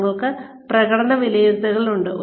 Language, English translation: Malayalam, We have performance appraisals